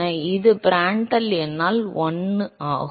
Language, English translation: Tamil, So, this is 1 by Prandtl number